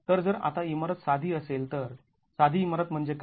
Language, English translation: Marathi, So, if the building is simple, now what is a simple building